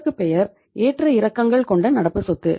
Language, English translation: Tamil, So it means this is the fluctuating current assets